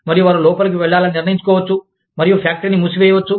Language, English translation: Telugu, And, they may decide to go in, and shut the factory down